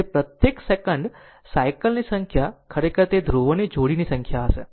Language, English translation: Gujarati, So, number of cycles per second actually it will be number of pair of poles, right